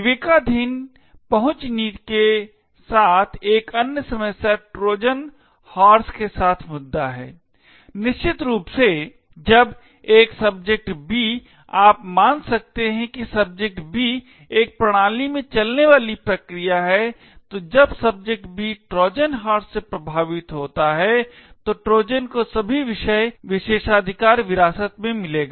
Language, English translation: Hindi, Another problem with discretionary access policies is the issue with Trojan horses, essentially when a subject B you can assume that subject B is a process running in a system, so when the subject B is affected by a Trojan horse, the Trojan would get to inherit all the subjects privileges